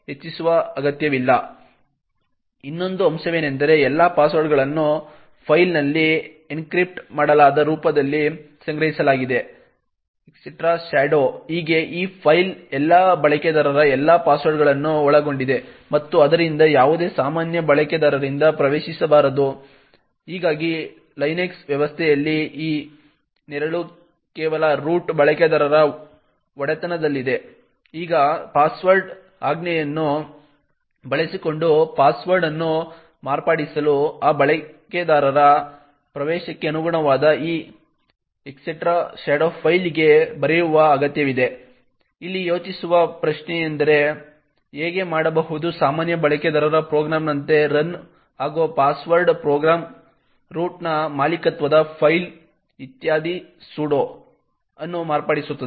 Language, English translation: Kannada, Another point is that all passwords are stored in the encrypted form in the file /etc/shadow, now this file comprises of all passwords of all users and therefore should not be accessed by any ordinary user, thus in the Linux system this /etc/shadow is only owned by the root user, now to modify a password using the password command, it would require to write to this /etc/shadow file corresponding to the entry for that user, question to think about over here is that how can a password program which runs as the normal user program modify a file /etc/shadow which is owned by the root